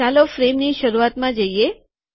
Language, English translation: Gujarati, Lets go to the beginning of the frame